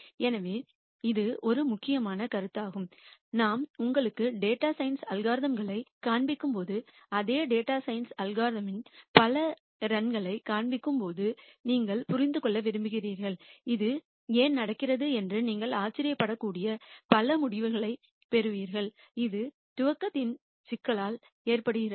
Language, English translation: Tamil, So, this is an important concept and that you want to understand later when we show you data science algorithms and show you several runs of the same data science algorithm you get several results you might wonder why that is happening and that is due to this problem of initialization